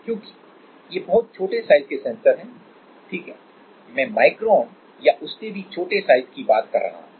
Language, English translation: Hindi, Like you see these are very small sensors right I am talking about micron or even smaller scale